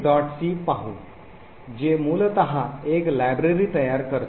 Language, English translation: Marathi, c which essentially creates a library